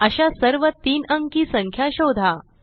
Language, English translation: Marathi, Find all such 3 digit numbers